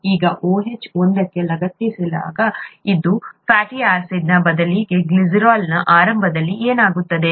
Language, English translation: Kannada, Now, instead of one fatty acid attached to one of this OH, what was initially OH of the glycerol